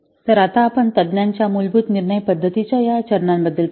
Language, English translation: Marathi, So now let's see about this steps of the basic expert judgment method